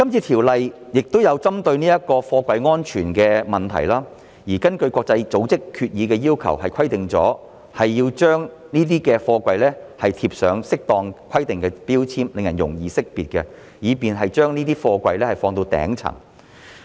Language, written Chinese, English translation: Cantonese, 《條例草案》亦有針對貨櫃安全的問題，而根據國際組織決議的要求，需要在貨櫃貼上符合規定的標籤，令人容易識別，以便把貨櫃置放在頂層。, The Bill also addresses the issue of container safety by requiring containers to be affixed with compliant markings as required by the international organizations resolutions so that they can be easily identified and arranged at the top of a stack of containers